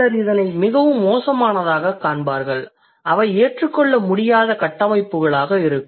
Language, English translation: Tamil, Some people would find it extremely bad then those would be unacceptable constructions